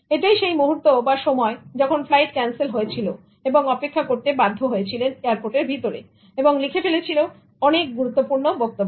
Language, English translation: Bengali, There are times when the flight got cancelled and then people were just sitting inside the airport and wrote that most important speech